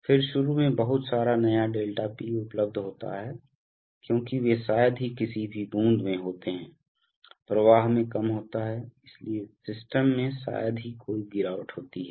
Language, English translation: Hindi, Then initially there is a lot of fresh ∆P available because they will hardly any drop, in the flow is low, so there is hardly any drop in the system